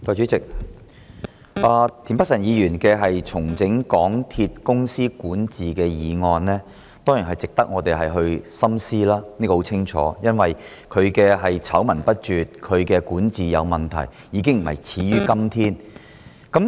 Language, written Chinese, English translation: Cantonese, 代理主席，田北辰議員動議的"重整港鐵公司管治"議案，當然值得深思，因為港鐵公司的管治明顯有問題，醜聞不絕，已非始於今天。, Deputy President the motion of Restructuring the governance of MTR Corporation Limited moved by Mr Michael TIEN is definitely worth pondering because it has been so apparent that the governance of the MTR Corporation Limited MTRCL is problematic with scandals after scandals